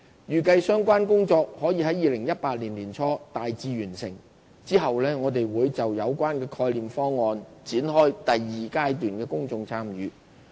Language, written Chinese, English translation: Cantonese, 預計相關工作可於2018年年初大致完成，之後我們會就有關的概念方案展開第二階段公眾參與。, We anticipate that these tasks should be substantially completed by early 2018 . After that we will launch the Stage 2 Public Engagement for the relevant conceptual schemes